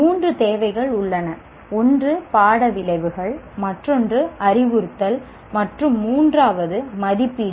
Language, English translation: Tamil, One is course outcomes, the other is instruction, and the third one is assessment